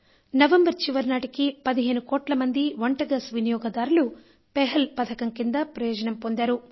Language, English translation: Telugu, Till November end, around 15 crore LPG customers have become its beneficiaries